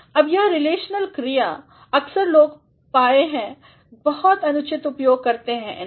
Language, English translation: Hindi, Now, these relational verbs at times people have been found making very inappropriate use of that